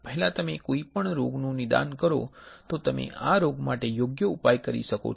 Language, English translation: Gujarati, Earlier you diagnose any disease you can have a cure for the disease right